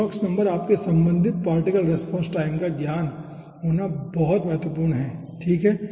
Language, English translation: Hindi, okay, so this is very, very important to know the stokes number and your corresponding particle response time